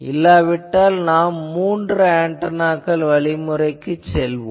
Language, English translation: Tamil, Now if that is not there, then we have three antenna methods